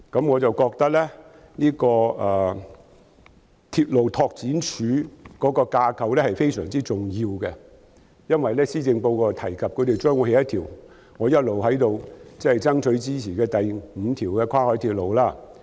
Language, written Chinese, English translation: Cantonese, 我認為鐵路拓展處的架構非常重要，因為施政報告提及將會興建一條我一直爭取興建的第五條跨海鐵路。, I think the structure of the Railway Development Office is extremely important because the Policy Address has mentioned the development of the fifth cross - harbour railway which I have all along championed